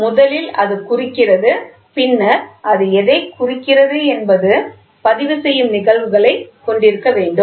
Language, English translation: Tamil, So, then first it indicates, then whatever it indicates should have a phenomena of recording